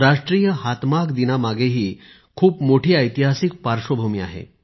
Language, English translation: Marathi, National Handloom Day has a remarkable historic background